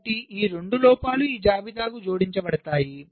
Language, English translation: Telugu, so these two faults will get added to this list